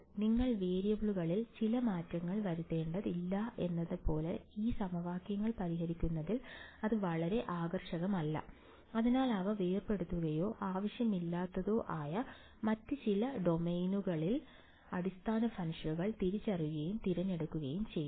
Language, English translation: Malayalam, That is nothing very fancy involved in solving these equation like you do not have do some changes of variables, so some other domain where they become decoupled or at all that is not needed; just discretizing and choosing basis functions